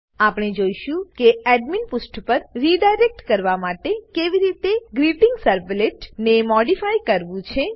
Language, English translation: Gujarati, We will see we how we modified the GreetingServlet to redirect to Admin Page